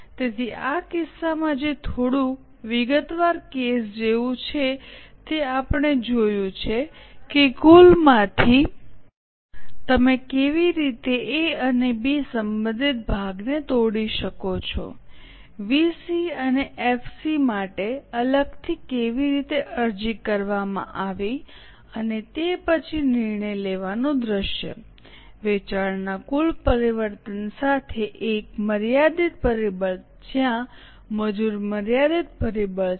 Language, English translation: Gujarati, So in this case which like a little detailed case, we have seen how from the total you can break down the portion related to A and B, how separately applied for VC and FC, and then a decision making scenario, one with a total change of sales, other with a limiting factor where labour is a limiting factor